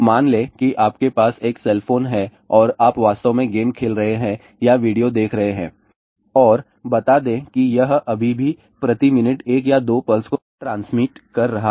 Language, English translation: Hindi, Let us say you have a cell phone and you are actually either playing a game or watching video and let us say it is still transmitting one or two pulses per minute